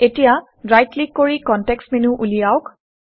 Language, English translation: Assamese, Now right click to open the context menu